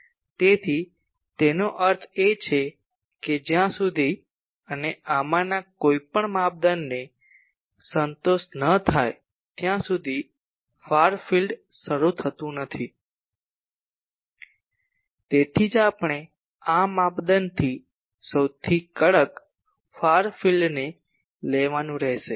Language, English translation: Gujarati, So; that means, unless and until any of these criteria is not satisfied the far field does not start, that is why we will have to take the most stringent far field from these criteria